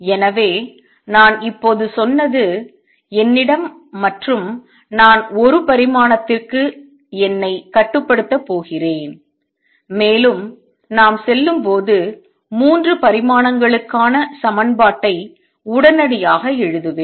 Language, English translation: Tamil, So, what I just now said is suppose I have and I am going to restrict myself to one dimension to convey the ideas and that I will immediately write the equation for 3 dimensions also as we go along